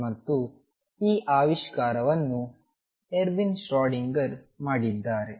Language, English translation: Kannada, And this discovery who was made by Erwin Schrödinger